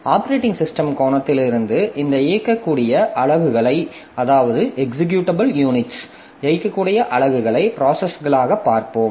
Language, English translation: Tamil, So, from the operating system angle, so we'll be looking into this executable units as processes